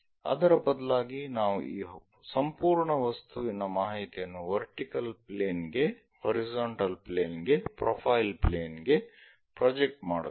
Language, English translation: Kannada, Instead of that we project this entire object information on to vertical plane, on to horizontal plane, on to profile plane